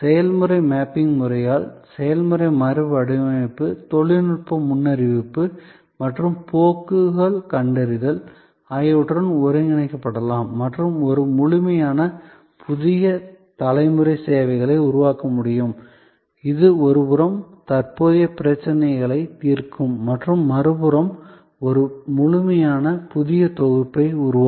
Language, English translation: Tamil, The process redesign by the method of process mapping can be then integrated with also technology forecasting and trends spotting and a complete new generation of services can then be created, which on one hand will address the current problems and on the other hand, it will create a complete new set